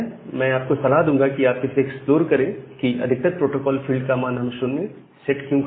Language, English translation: Hindi, So, I will suggest you to explore this that why we set the protocol field at 0 in most of the cases